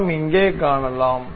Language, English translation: Tamil, We can see here